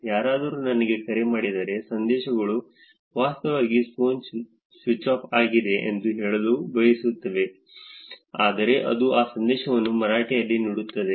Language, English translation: Kannada, When somebody calls me, the messages are actually want to be saying that the phone is switched off, but it is going to be giving that message in Marathi